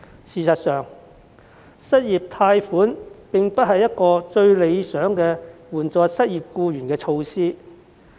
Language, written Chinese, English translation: Cantonese, 事實上，失業貸款並非援助失業僱員的最理想措施。, In fact unemployment loan is not the most ideal measure to assist the unemployed